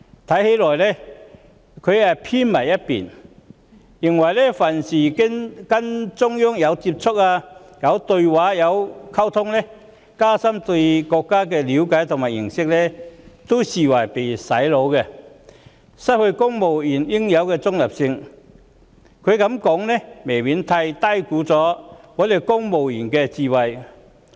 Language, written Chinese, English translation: Cantonese, 他似乎有所偏頗，但凡跟中央有接觸、有對話、有溝通或須加深對國家的了解和認識的事，他也會視為旨在"洗腦"，令公務員失去應有的中立性，他這樣說未免過於低估本港公務員的智慧。, Well he seems to be biased in that anything which involves contacts dialogues or communications with the Central Authorities or any effort aiming to enhance peoples understanding and knowledge of our country will be taken by him as something that seeks to brainwash civil servants and cause them to lose their neutral stance . Judging from his such remarks he has inevitably underestimated the wisdom of our civil servants